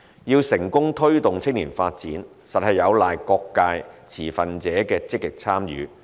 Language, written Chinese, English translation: Cantonese, 要成功推動青年發展，實有賴各界持份者的積極參與。, Successful promotion of youth development hinges on active participation of stakeholders from various sectors